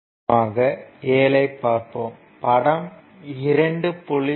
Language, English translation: Tamil, Now, for now consider this example 7